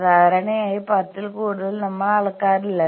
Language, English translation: Malayalam, More than ten generally we do not measure